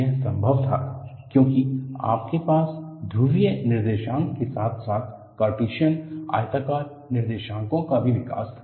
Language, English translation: Hindi, This was possible because you had the development of polar coordinates, as well as Cartesian rectangular coordinates